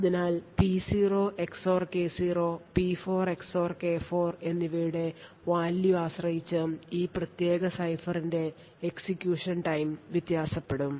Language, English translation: Malayalam, And thus, we see depending on the value of P0 XOR K0 and P4 XOR K4 the execution time of this particular cipher would vary